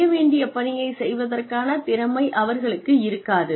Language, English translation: Tamil, They may not have the skills to do, what is required to be done